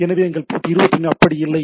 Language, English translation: Tamil, So, it is not that our port 21 like that